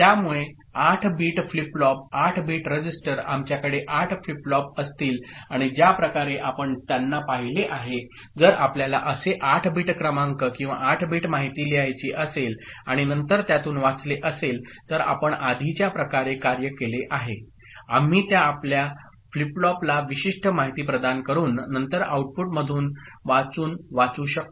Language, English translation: Marathi, So, for 8 bit flip flop, 8 bit register, we’ll be having 8 flip flops and the way we have seen them, if you want to write something that 8 bit number or 8 bit information and then read from it then the way we have done it before, we can think of you know, providing a specific inputs to those flip flops and then reading it from the output ok